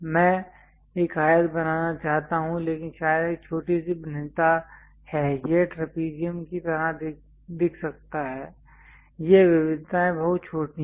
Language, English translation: Hindi, I want to draw rectangle, but perhaps there is a small variation it might look like trapezium kind of thing, these variations are very small